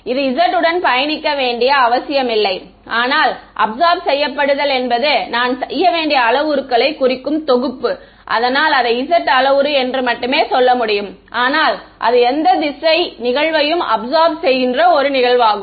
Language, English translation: Tamil, It need not be travelling along the z, but the absorption I mean the parameters that I have to set is only the z parameter, but it's absorbing any direction incident on it